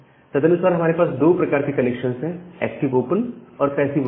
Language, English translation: Hindi, So, accordingly we have two kind of connection called active open and the passive open